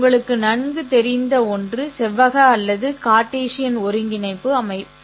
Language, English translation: Tamil, The most common that is familiar to you would be the rectangular Cartesian coordinate system